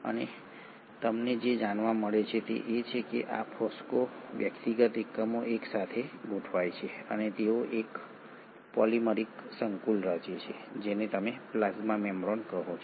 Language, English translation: Gujarati, And what you find is that these phospho individual units arrange in tandem and they form a polymeric complex which is what you call as the plasma membrane